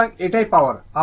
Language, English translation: Bengali, So, this is the power